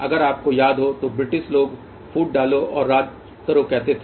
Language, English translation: Hindi, If you recall Britisher's used to say divide and rule